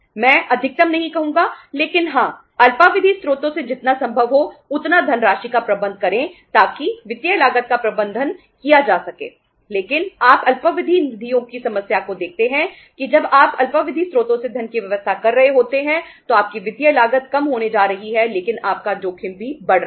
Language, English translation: Hindi, I would not say maximum but yes as much as possible funds from the short term sources so that the financial cost can be managed but you see the problem of the short term funds is that when you are arranging the funds from the short term sources your financial cost is going to go down but your risk is also increasing